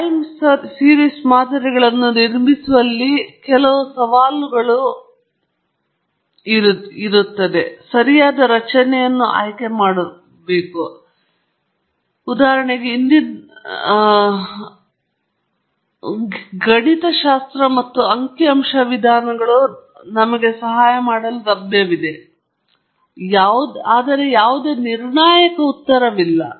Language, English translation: Kannada, Now, some of the challenges in building time series models are choosing the right model structure; that is how much in the past, for example, affects the present, and that, of course, again, guidelines and some mathematical as well as statistical methods are available to help us, but again there is no definitive answer